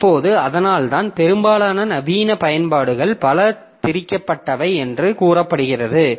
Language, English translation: Tamil, Now, so that is why it is said that most modern applications are multi threaded